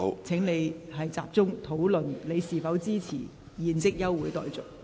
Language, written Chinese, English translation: Cantonese, 請你集中討論是否支持現即休會待續。, Please focus on discussing whether you support the adjournment motion